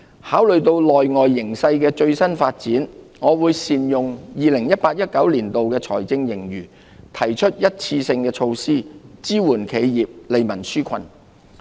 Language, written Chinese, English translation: Cantonese, 考慮到內外形勢的最新發展，我會善用 2018-2019 年度財政盈餘，提出一次性措施，支援企業，利民紓困。, Having regard to the latest internal and external developments I will make optimal use of the fiscal surplus for 2018 - 2019 to introduce one - off measures to support enterprises and relieve peoples burden